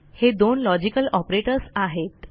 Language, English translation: Marathi, So these are the two logical operators